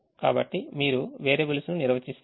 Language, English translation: Telugu, so you define the variables